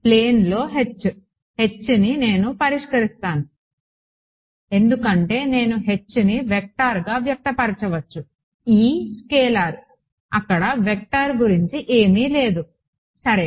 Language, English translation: Telugu, H, H in the plane that is what I will solve for because that is the thing I can express as a vector right E is a scalar there is no point of vector over there ok